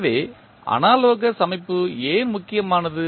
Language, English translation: Tamil, So, why the analogous system is important